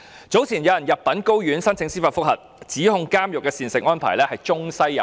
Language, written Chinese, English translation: Cantonese, 早前有人入稟高等法院申請司法覆核，指控監獄的膳食安排中西有別。, Some time ago a case of judicial review was filed with the High Court by a person who alleged that there is discrepancy between Chinese meals and Western meals provided in prison